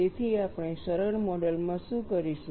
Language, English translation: Gujarati, And what was done in a simplistic model